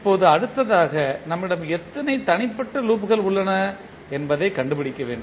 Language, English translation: Tamil, Now, next is we need to find out how many individual loops we have